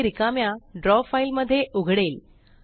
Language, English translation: Marathi, This will open an empty Draw file